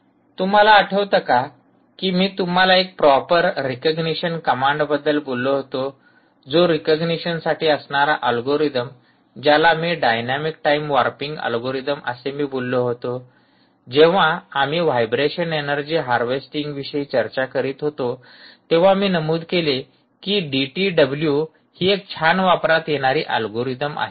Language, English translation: Marathi, recall, i mention to you about ah, single word, a proper recognition command, ah, recognition, kind of ah algorithms, particularly this dynamic time warping algorithm which i mention to you ah, when we were discussing about the ah, ah, the space, on vibration, energy harvesting, i mentioned that d t w is something that is ah, a nicely used algorithm anywhere